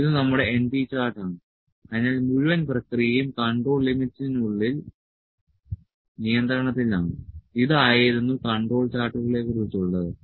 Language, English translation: Malayalam, So, this is our np chart, so the whole process is in control within the control limits, this was about the control charts